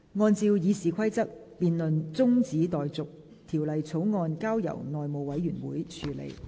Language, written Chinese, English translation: Cantonese, 按照《議事規則》，辯論中止待續，條例草案交由內務委員會處理。, In accordance with the Rules of Procedure the debate is adjourned and the Bill is referred to the House Committee